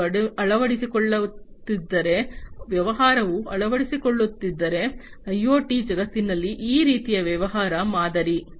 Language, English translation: Kannada, If they are adopting you know, if the business is adopting the; this kind of, you know, this kind of business model in the IoT world